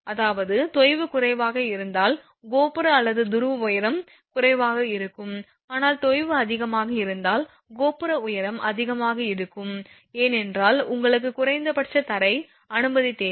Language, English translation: Tamil, I mean if your sag is low then tower height or pole height will be less, but if sag is more then tower height will be more because you need some minimum ground clearance